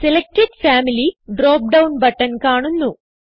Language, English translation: Malayalam, Selected Family drop down button appears